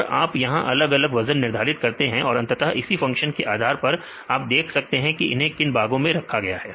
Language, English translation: Hindi, And you assign the different weights and finally, based on this function you can see this is in which class